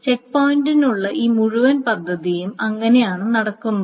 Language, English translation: Malayalam, So that's the way this whole scheme with checkpointing takes place